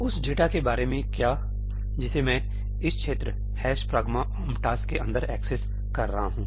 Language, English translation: Hindi, What about the data that I am accessing inside the region ëhash pragma omp taskí